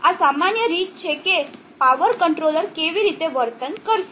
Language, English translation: Gujarati, So this is in general how this power controller will behave